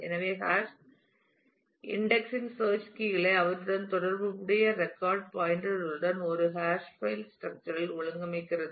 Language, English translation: Tamil, So, hash index organizes the search keys with their associated record pointers into a hash file structure exactly in the same way its hashing otherwise